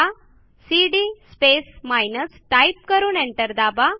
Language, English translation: Marathi, So if we run cd space minus and press enter